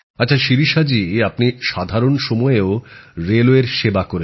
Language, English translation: Bengali, Ok Shirisha ji, you have served railways during normal days too